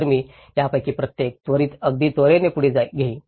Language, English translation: Marathi, So, I will briefly go through each of these scales very quickly